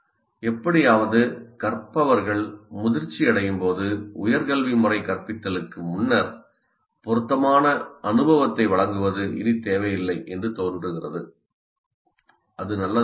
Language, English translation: Tamil, And somehow as learners mature the higher education system seems to feel that providing relevant experience prior to instruction is no longer necessary